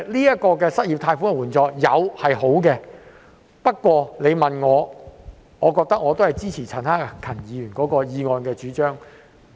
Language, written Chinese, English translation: Cantonese, 有失業借貸的援助是好的，但我仍然支持陳克勤議員的議案的主張。, It is good to provide assistance in the form of unemployment loans but I still support what is proposed in Mr CHAN Hak - kans motion